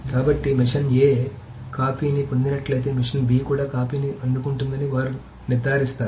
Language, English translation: Telugu, So they will ensure that if machine A gets a copy, then machine B also gets a copy and so on and so forth